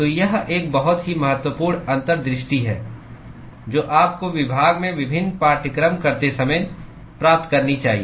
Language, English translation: Hindi, So, this is a very important insight that you should gain while doing various courses in the department